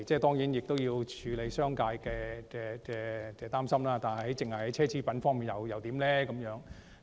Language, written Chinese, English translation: Cantonese, 固然要處理商界的擔憂，但只是在奢侈品方面徵稅又如何？, Granted that the concerns of the business community have to be addressed would a levy on only luxury items be viable?